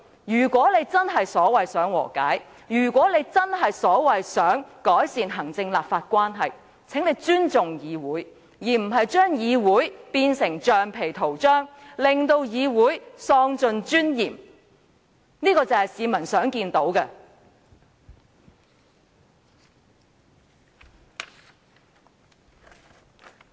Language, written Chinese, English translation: Cantonese, 如果她真的所謂想和解，如果她真的想改善行政立法關係，便請她尊重議會，而不是把議會變成橡皮圖章，令議會尊嚴喪盡，這才是市民想見到的。, If she really wants to reconcile and improve the relationship between the executive and the legislature then she must respect this Council does not turn it into a rubber stamp and deprives it of its dignity . That is what members of the public wish to see